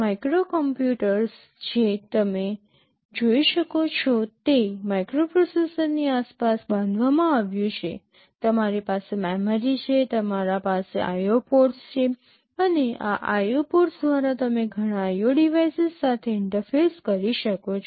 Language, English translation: Gujarati, A microcomputer as you can see is built around a microprocessor, you have memory, you are IO ports and through this IO ports you can interface with several IO devices